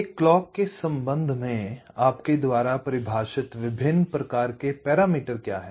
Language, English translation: Hindi, what are the different kinds of parameters that you define with respect to a clock